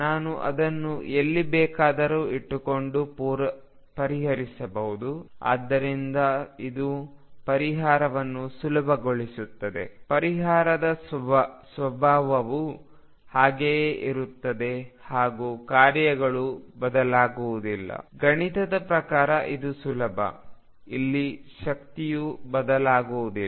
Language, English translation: Kannada, I can solve it keeping anywhere but this makes the solution easier; the solution nature remains exactly the same the functions remain exactly the same, energy is remain exactly the same except that makes life easy mathematically